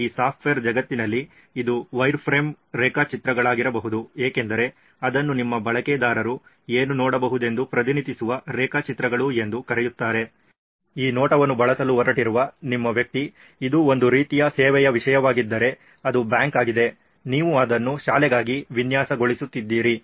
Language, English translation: Kannada, In this software world it could be wireframe drawings as they call it just representative sketches of what possibly could your user be looking at, your person who is going to use this look at, if it is a sort of service thing, it is a bank that you are designing it for a school